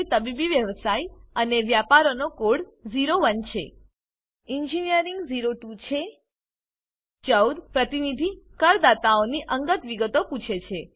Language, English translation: Gujarati, Medical Profession and Businesss code is 01 Engineering is 02 Item 14 asks for personal details of representative assessees